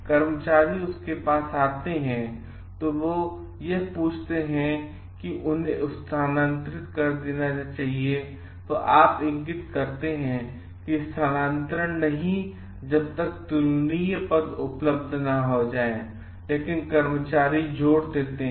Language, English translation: Hindi, The workers come to you asking either he or they should be transferred you indicate that no transfers, but to the comparable positions are available, but the workers insist